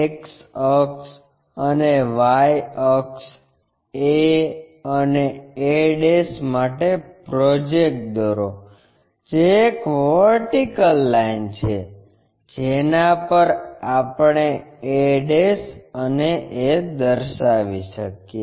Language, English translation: Gujarati, X axis and Y axis, draw a projector for a and a ' that is a vertical line, on which we can locate a ' and a